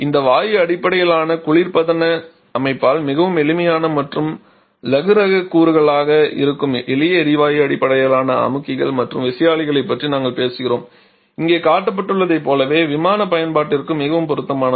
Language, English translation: Tamil, We are talking about simple gas based compressors and turbines which are much simple and lightweight components there by this gas type based refrigeration system is very suitable for aircraft application just like the one shown here